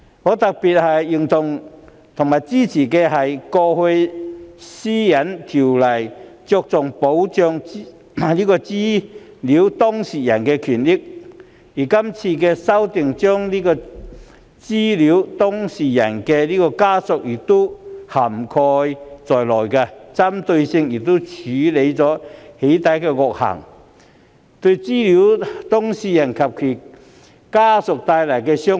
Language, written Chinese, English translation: Cantonese, 我特別認同和支持的一點，是《私隱條例》向來只着重保障資料當事人的權益，而這次修訂，把資料當事人的家人亦納入保障範圍內，針對性地處理對資料當事人及其家人造成傷害的"起底"惡行。, One thing I particularly agree to and support is given that PDPO has always focused only on protecting the rights and interests of data subjects the current legislative amendment exercise seeks to include also the family members of data subjects in the scope of protection and in a targeted manner deal with the evil doxxing acts that have caused harm to data subjects and their families